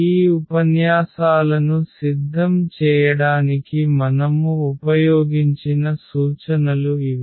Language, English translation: Telugu, So, these are the references we have used to prepare these lectures